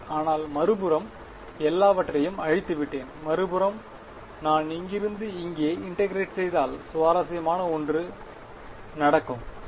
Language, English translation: Tamil, But on the other hand erased everything, on the other hand if I integrate from here to here that is when something interesting will happen right